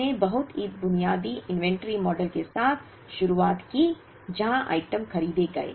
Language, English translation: Hindi, We started with very basic inventory models, where items were bought out